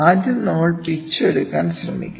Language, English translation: Malayalam, First one we will try to take pitch